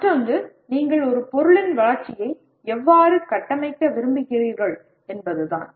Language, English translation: Tamil, And the other one is how do you want to phase the development of a product